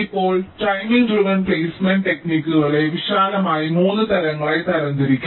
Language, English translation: Malayalam, now, timing driven placement techniques can be broadly categorized into three types